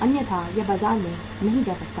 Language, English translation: Hindi, Otherwise, it cannot go to the market